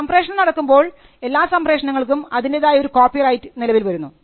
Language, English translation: Malayalam, When a broadcast is made every broadcast has a separate copyright vested on it